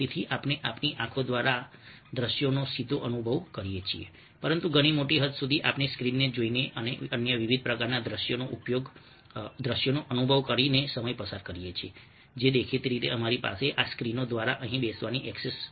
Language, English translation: Gujarati, but to a much greater extent we are spending time by looking at the screen and experiencing various other kinds of visuals which, obviously we would not have access to sitting over here through this screens